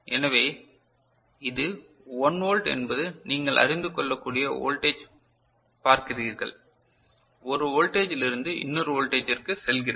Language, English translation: Tamil, So, this is 1 volt is what you see as the voltage that it can you know, move from one value to another is it clear, right